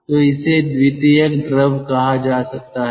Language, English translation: Hindi, so this can be called a secondary fluid